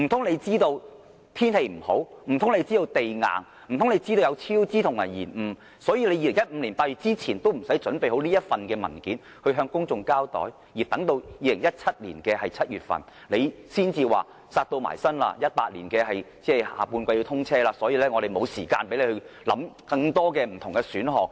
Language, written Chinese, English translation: Cantonese, 難道政府知道高鐵會超支和延誤，所以政府在2015年8月前也不用妥善準備這份文件，向公眾交代，而等待至2017年7月，政府才表示迫在眉睫，高鐵要在2018年第三季通車，所以沒有時間讓我們考慮更多不同選項？, Is it because the Government thus did not see any need to prepare a paper for public information before August 2015? . Why did the Government wait until July 2017 before it finally told us that the XRL must inaugurate in the third quarter of 2018 so the matter was extremely urgent and we would have no time for considering other options?